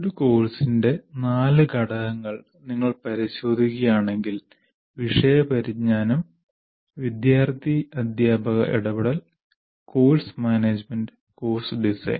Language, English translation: Malayalam, So here if you look at these four components of course design, subject knowledge, student teacher interaction, course management we talked about, and course design